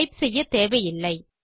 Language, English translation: Tamil, No need to type them out